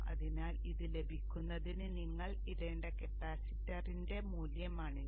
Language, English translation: Malayalam, So this would be the maximum value that the capacitor will see